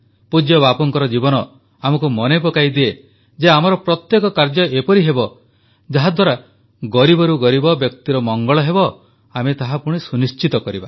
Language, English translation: Odia, Revered Bapu's life reminds us to ensure that all our actions should be such that it leads to the well being of the poor and deprived